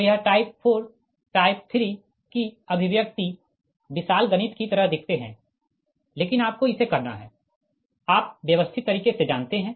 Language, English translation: Hindi, so this expression of this type four, type three, looks like little bit of you know huge mathematics but you have to do it